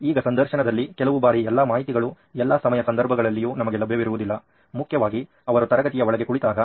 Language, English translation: Kannada, Now what they come up in the interviews is they might not be accessible to all the content at all times especially when they are sitting inside a classroom